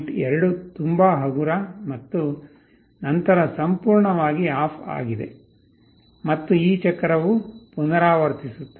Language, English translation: Kannada, 2 very light and then totally OFF; and this cycle repeats